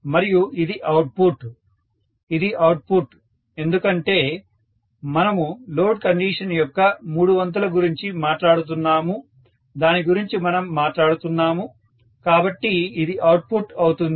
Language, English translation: Telugu, And this is the output, this is the output because we have been talked about three fourth of load condition that is what we are talking about, so that is going to be the output